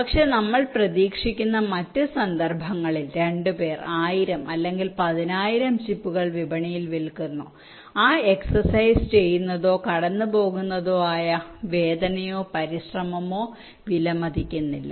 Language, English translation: Malayalam, but in other cases where we expected two cell thousand or ten thousand of the chips in the market, so doing or going through that exercise is not means worth the the pain or the effort, right